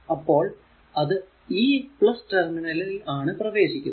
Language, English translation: Malayalam, So, it is it is entering into the positive terminal